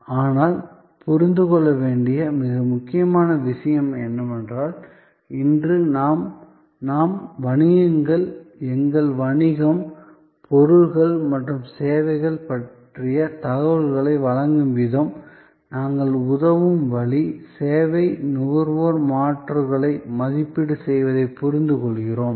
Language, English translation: Tamil, But, most important to understand is that, today we understand that as businesses, the way we provide information about our business, products and services, the way we will help, the service consumer to evaluate alternatives